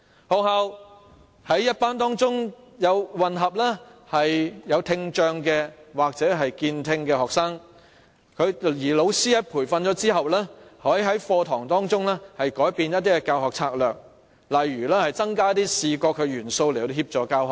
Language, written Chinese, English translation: Cantonese, 學校在班級中混合聽障或健聽學生，而老師在接受培訓後，可在課堂中改變教學策略，例如增加視覺元素來協助教學。, Schools may combine students with hearing impairment and students with normal hearing in the same class . Teachers after receiving the training may change the teaching approach such as increasing visual elements as teaching and learning aids